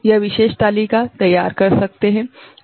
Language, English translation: Hindi, that particular table can prepare, right